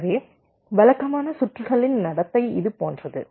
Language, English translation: Tamil, so the behavior of typical circuits is like this